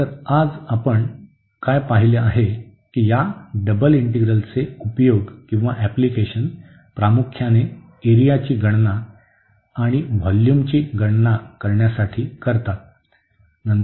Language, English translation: Marathi, So, what we have seen today that applications of this double integrals mainly the computation of area and also the computation of volume